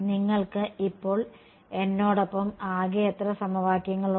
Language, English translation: Malayalam, How many equations you have a in total with me now